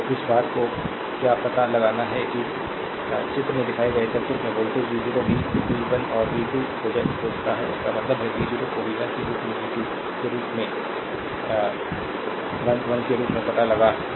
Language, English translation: Hindi, So, you what you do ah this thing you have to find out voltage v 0 in the circuit shown in figure also find v 1 and v 2; that means, you have to find out v 0 as well as v 1 as well as v 2, right